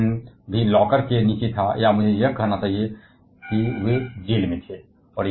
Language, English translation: Hindi, And Otto Hahn was also under the locker or I should say he was in jail